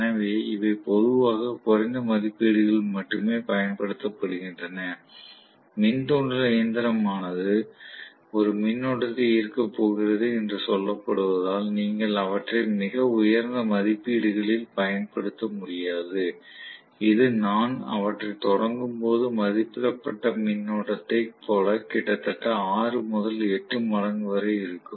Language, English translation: Tamil, So these are generally used only at lower ratings, you cannot use them at very high ratings as it is we said induction machine is going to carry a current, which is corresponding to almost 6 to 8 times the rated current when I am starting them, this will be even more